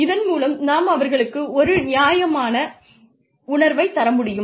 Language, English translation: Tamil, And, we give them a sense of fairness